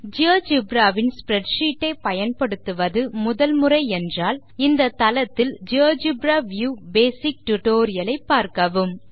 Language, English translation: Tamil, If this is the first time you are using spreadsheets for geogebra please see the spoken tutorial web site for the spreadsheet view basic tutorial